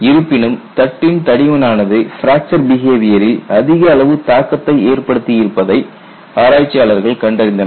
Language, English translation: Tamil, However researches have noticed that the thickness of the plate had a strong influence on fracture behavior